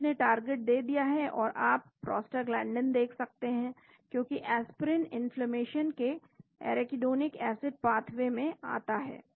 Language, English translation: Hindi, So, it is given the targets and you can see prostaglandin because Aspirin comes in arachidonic acid path way of inflammation